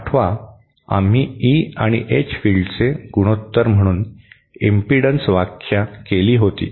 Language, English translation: Marathi, Recall we had defined impedence also as the ratio of E and H fields